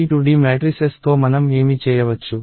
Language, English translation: Telugu, So, what can we do with these 2D matrices